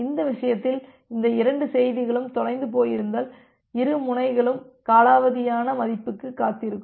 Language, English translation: Tamil, In this case so, if both this messages are getting lost then both the node will wait for a timeout value